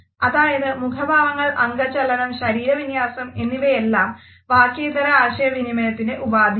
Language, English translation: Malayalam, So, facial expressions, our gestures, our postures these aspects of nonverbal communication